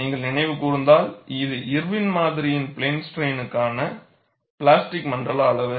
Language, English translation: Tamil, If you recall, this was the plastic zone size in plane strain by Irwin's model